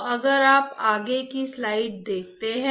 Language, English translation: Hindi, So, if you see the slide